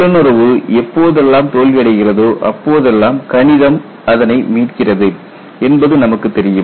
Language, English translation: Tamil, Because wherever intuition fails, you know your mathematics has to come and rescue yourself